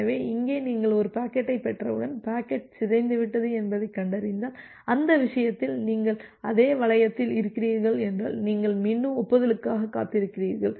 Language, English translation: Tamil, So, here once you are receiving a packet and if you are finding out that the packet is corrupted and in that case, you are in the same loop, you again wait for an acknowledgement